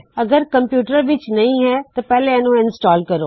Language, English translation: Punjabi, If you do not have it, you need to install it first